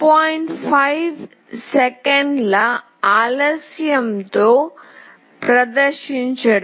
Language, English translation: Telugu, 5 second delay